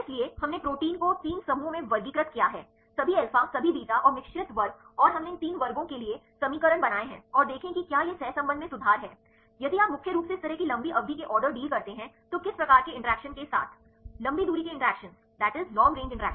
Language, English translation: Hindi, So, we classified the proteins at 3 groups all alpha, all beta and mixed class and we derived the equations for these 3 classes and see whether it is improvement in the correlation if you do like this mainly long range order deals with which type of interactions; Long range interactions